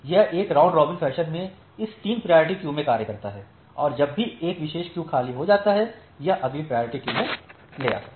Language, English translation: Hindi, So, it serves this 3 priority queues in a round robin fashion and whenever one particular queue becomes empty it moves to the next priority queue